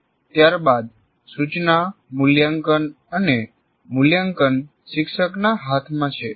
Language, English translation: Gujarati, But subsequently, instruction, assessment and evaluation are in the hands of the teacher